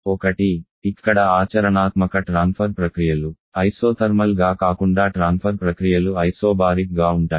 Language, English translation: Telugu, One is, here the heat transfer processes are not isothermal rather heat transfer process there Isobaric